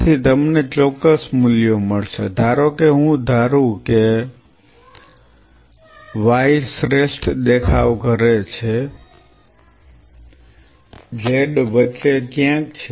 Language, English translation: Gujarati, So, you will see certain values coming suppose I assume y performs the best z is somewhere in between